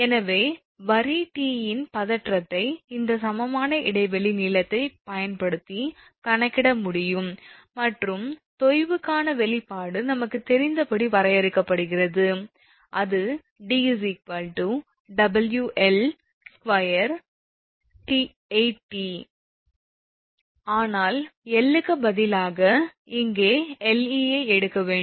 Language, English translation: Tamil, Therefore the tension of line T can be calculated using this equivalent span length and expression for sag is defined as we know, that d is equal to we have seen the WL square upon 8T, but instead of L, here we should take Le